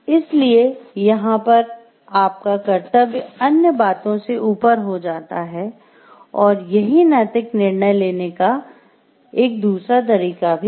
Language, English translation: Hindi, So, here duty overrides a other things other ways of ethical decision making